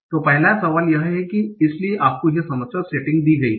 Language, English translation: Hindi, So the first question says is that, so you are given this problem settings